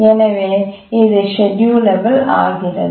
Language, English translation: Tamil, So this is also schedulable